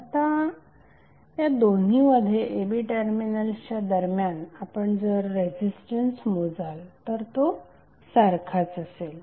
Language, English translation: Marathi, Now the equivalent resistance which you will measure between these two terminal a and b would be equal in both of the cases